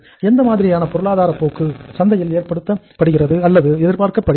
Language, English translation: Tamil, What are the expected say economic trends in the market